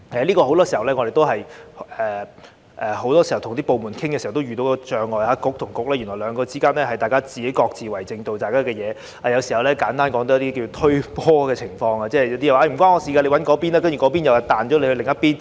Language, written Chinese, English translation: Cantonese, 就此，我們很多時候與部門溝通時也會遇到這障礙，即政策局與政策局之間原來各自為政，只做自己的事，有時候簡單來說有"推波"的情況，例如這邊說與我無關，你找那邊，然後那邊又將你的問題轉交另一邊。, In this respect we often encounter obstacles in our communication with departments . Policy Bureaux only mind their own business and sometimes they even pass the buck from one to another . For instance this bureau said that this was not related to it and advised us to seek assistance from that bureau and then that bureau directed our question to another bureau